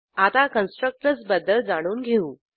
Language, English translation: Marathi, Let us start with an introduction to Constructors